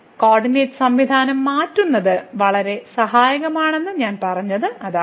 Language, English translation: Malayalam, So, that that is what I said that thus changing the coordinate system is very helpful